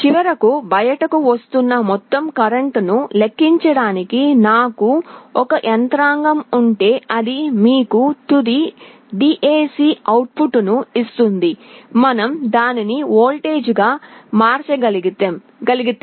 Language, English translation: Telugu, If I have a mechanism to calculate the total current that is finally coming out, then that will give you a final DAC output, if you can convert it into a voltage